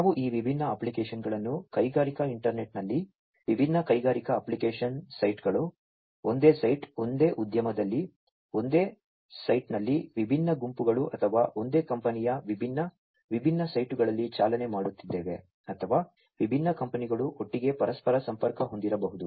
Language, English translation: Kannada, We have these different applications running on the industrial internet, using the industrial internet in different industrial application sites, same site, same site in the same industry different groups or different, different sites of the same company or it could be that different companies are interconnected together